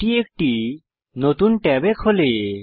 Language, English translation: Bengali, It opens in a new tab